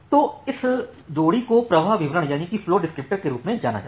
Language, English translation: Hindi, So, this pair is known as the flow descriptor